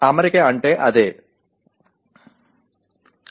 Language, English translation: Telugu, That is what it means